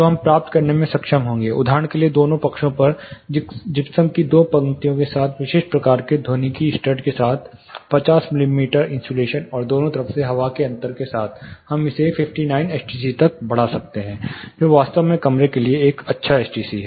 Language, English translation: Hindi, So, we will be able to achieve; for example, with two lines of gypsum on both sides with the specific type of acoustical, you know stud with the insulation of 50 mm and air gap on both side, we can raise it to up to 59 STC, which is really a good STC to achieve between the rooms